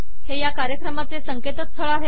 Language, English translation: Marathi, This is the website of this mission